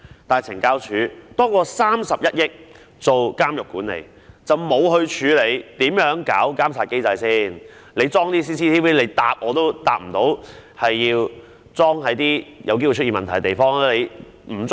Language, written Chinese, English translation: Cantonese, 但是，懲教署獲批多於31億元作監獄管理，卻沒有處理如何建立監察機制的問題，連閉路電視會否安裝在有機會出現問題的地方亦未能回答。, Despite the provision of more than 3.1 billion for prison management CSD did not deal with the question of how to establish a monitoring mechanism . It cannot even answer whether CCTVs will be installed at places where problems may arise